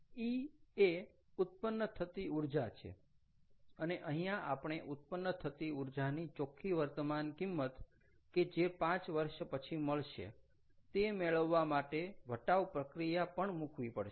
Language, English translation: Gujarati, e is the energy generated and here also we have to put a discounting to get net present value of the energy that is going to be generated, let us say five years later